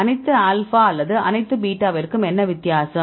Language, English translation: Tamil, So, what is the difference between all alpha or all beta